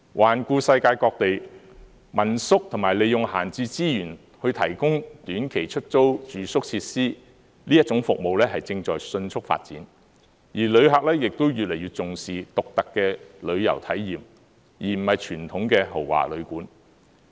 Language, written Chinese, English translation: Cantonese, 環顧世界各地，民宿及利用閒置資源去提供短期出租住宿設施，這種服務是正在迅速發展，旅客亦越來越重視獨特的旅遊體驗，而不是傳統的豪華旅館。, Looking at places around the world family - run lodgings and the use of idling resources are providing short - term rental accommodation facilities . This type of service is growing rapidly . Visitors are taking this type of unique travelling experience more seriously instead of adhering to the traditional luxurious hotel lodging experience